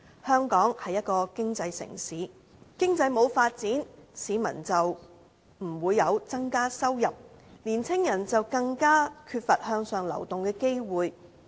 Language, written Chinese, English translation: Cantonese, 香港是一個經濟城市，經濟沒有發展，市民的收入便不會增加，年青人便更缺乏向上流動的機會。, Hong Kong is an economic city and a lack of economic development means stagnant income for the people rendering it more difficult for young people to climb the social ladder